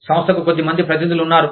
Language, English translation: Telugu, There are a few representatives of the organization